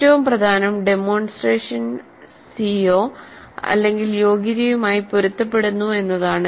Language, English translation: Malayalam, So the most important thing is that a demonstration is consistent with the CO or the competency